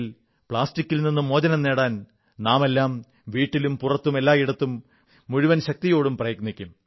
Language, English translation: Malayalam, All of us with all our might must try to get rid of plastics from our home and everywhere outside our houses